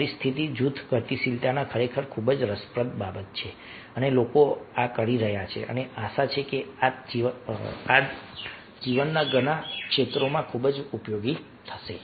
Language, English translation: Gujarati, so group dynamics is really a very interesting thing and people have been doing this and hope that this is going to be very useful in many areas of life